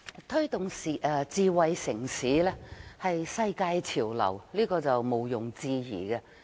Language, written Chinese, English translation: Cantonese, 推動智慧城市是世界潮流，這是毋庸置疑的。, The promotion of smart city is indisputably a global trend